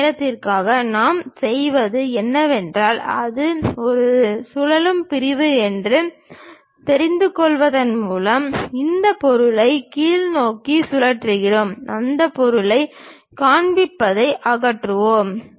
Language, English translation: Tamil, For that purpose what we do is by knowing it is as a revolve section, we rotate this object downwards, remove that portion show it